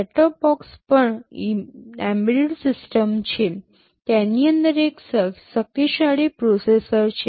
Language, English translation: Gujarati, Set top box are also embedded systems, there are quite powerful processors inside them